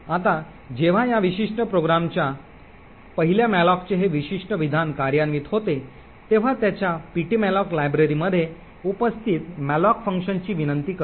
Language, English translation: Marathi, Now when this particular statement comprising of the 1st malloc of this particular program gets executed it results in the malloc function present in their ptmalloc library to be invoked